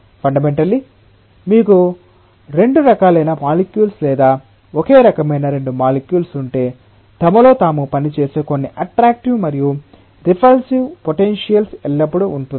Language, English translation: Telugu, Fundamentally if you have two different types of molecules or two molecules of the same type, there will always be some attractive and repulsive potentials which are acting amongst themselves